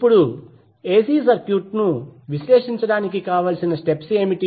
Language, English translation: Telugu, Now what are the steps to analyze the AC circuit